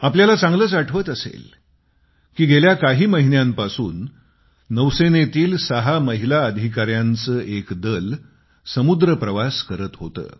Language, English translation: Marathi, I am sure you distinctly remember that for the last many months, a naval team comprising six women Commanders was on a voyage